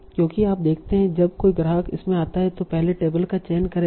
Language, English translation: Hindi, Because you see when a customer comes in it will first choose the table, right